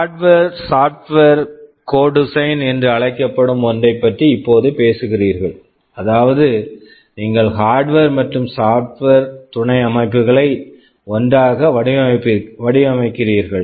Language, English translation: Tamil, You talk now about something called hardware software co design, meaning you are designing both hardware and software subsystems together